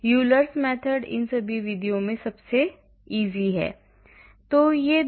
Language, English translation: Hindi, Euler’s method is the simplest of all these methods